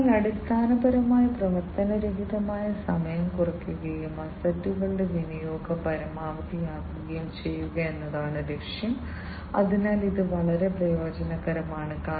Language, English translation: Malayalam, So, the aim is basically to minimize the downtime, and maximize the utilization of the assets, so this is very advantageous